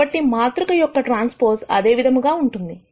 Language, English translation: Telugu, So, the transpose of the matrix is the same